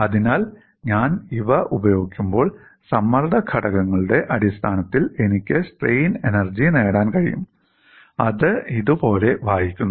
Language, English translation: Malayalam, So, when I use these, I can get the strain energy in terms of stress components and that reads like this